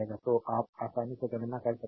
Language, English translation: Hindi, So, you can easily compute